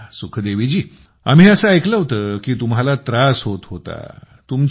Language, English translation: Marathi, Well I heard that you were suffering